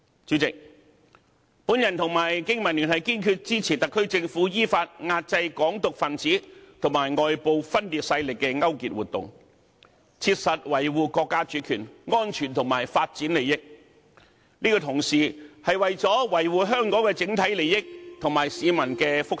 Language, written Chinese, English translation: Cantonese, 主席，我和香港經濟民生聯盟堅決支持特區政府，依法壓制"港獨"分子與外部分裂勢力的勾結活動，切實維護國家主權、安全和發展利益，這同時是為維護香港整體利益和市民的福祉。, President the Business and Professionals Alliance for Hong Kong and I resolutely support the SAR Government in suppressing in accordance with law collusion activities staged by Hong Kong independence activists and foreign secession forces and practically safeguarding the national sovereignty security and development interests . It is also meant to safeguard the overall interest of Hong Kong and well - being of citizens